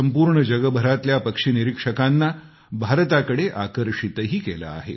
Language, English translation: Marathi, This has also attracted bird watchers of the world towards India